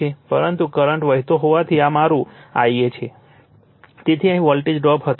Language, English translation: Gujarati, But, as the current is flowing, this is my I a so there will be voltage drop here